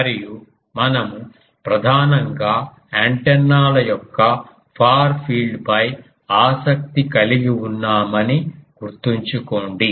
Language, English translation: Telugu, And please remember that we are primarily interested in the far field of the antennas